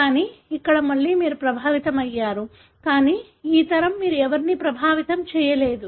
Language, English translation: Telugu, But here, again you have an affected, but this generation you don’t see anybody affected